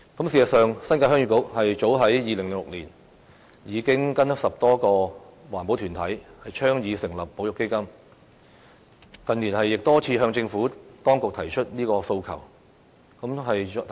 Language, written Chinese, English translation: Cantonese, 事實上，新界鄉議局早於2006年已經與10多個環保團體倡議成立保育基金，近年亦多次向政府當局提出這訴求。, In fact the Heung Yee Kuk New Territories and over 10 green groups have been championing the setting up of a conservation fund since as early as 2006 . And in recently years we have raised this demand with the Administration many times